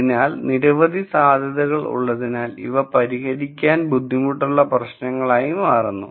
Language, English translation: Malayalam, So, since there are many many possibilities these become harder problems to solve